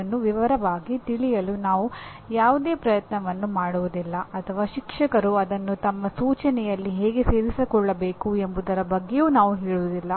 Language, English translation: Kannada, We do not make any attempt at all to deal with it in detailed way nor about how the teacher should incorporate that into his instruction